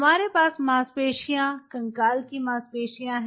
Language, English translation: Hindi, is it cardiac muscle or is it skeletal muscle